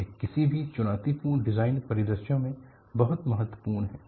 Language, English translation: Hindi, It is very important in any challenging designs